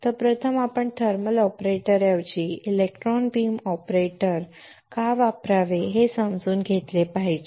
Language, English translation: Marathi, So, first we should understand why we had to use electron beam operator instead of a thermal operator